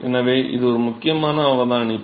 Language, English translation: Tamil, So, that is an important observation